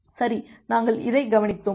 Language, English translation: Tamil, Well we have looked into that